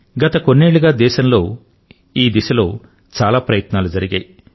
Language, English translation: Telugu, In our country during the past few years, a lot of effort has been made in this direction